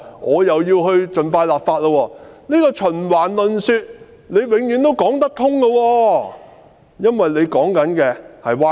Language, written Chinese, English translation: Cantonese, 按照這個循環論說，她永遠說得通，因為她說的是歪理。, Following this loop of argument she can always justify herself for all she says is sophistry